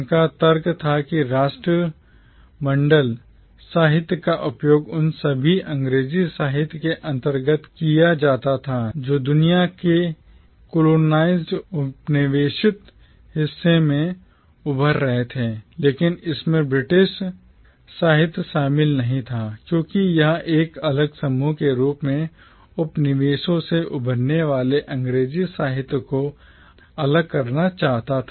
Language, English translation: Hindi, His argument was that Commonwealth literature was used to group under itself all the English literatures that were emerging from the once colonised parts of the world but it did not include British literature because it wanted to segregate the English literature emerging from the colonies as a separate group of literature